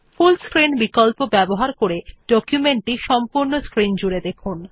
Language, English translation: Bengali, Use the Full Screenoption to get a full screen view of the document